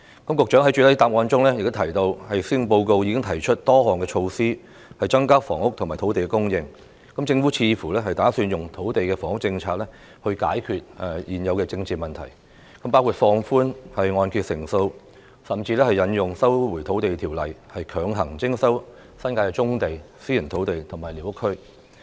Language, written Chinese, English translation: Cantonese, 局長在主體答覆中提到，施政報告已經提出多項措施增加房屋及土地供應，政府似乎打算引用土地及房屋政策來解決現有的政治問題，包括放寬按揭成數，甚至引用《收回土地條例》，強行徵收新界的棕地、私人土地及寮屋區。, The Secretary mentioned in the main reply that the Chief Executive has just proposed a number of measures in the Policy Address to increase housing and land supply . It seems that the Government plans to use land and housing policies to resolve the present political issues . These measures include relaxing the loan - to - value ratio invoking the Lands Resumption Ordinance to mandatorily resume brownfield sites private land and squatter areas